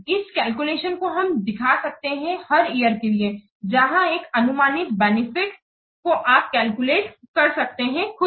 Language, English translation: Hindi, This calculation can be represented for each year where a benefit expected that you can calculate yourself